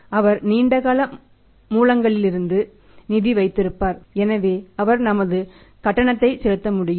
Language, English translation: Tamil, He will have the funds from the long term sources, so he can make our payment